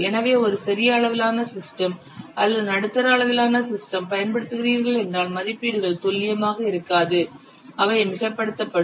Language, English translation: Tamil, So, if you are using just a small scale system or a medium scale system, then the estimates will not be accurate, they will be overestimated